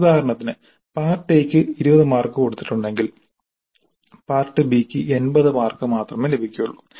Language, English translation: Malayalam, This is one example part A is for 20 marks, part B is for 80 marks so each question in part B is thus for 16 marks